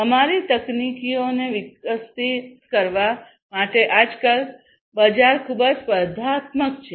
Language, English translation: Gujarati, In order to evolve our technologies, the market is highly competitive nowadays